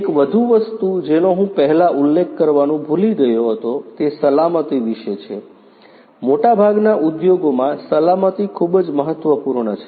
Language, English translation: Gujarati, One more thing that I forgot to mention earlier is what about safety, safety is very important in most of the industries